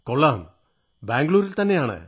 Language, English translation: Malayalam, Okay, in Bengaluru